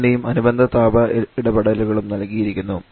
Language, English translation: Malayalam, The temperature and corresponding heat interactions are given